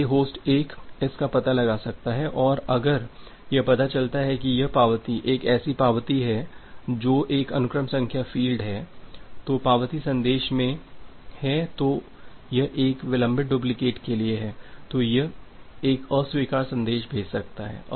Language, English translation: Hindi, So, host 1 can find it out and if it finds out that this acknowledgement is a acknowledgement a sequence number field which is there in acknowledgement message it is for a delayed duplicate, then it can send a reject message